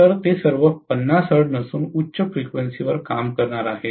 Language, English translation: Marathi, So, all of them are going to work at higher frequencies not at 50 hertz, right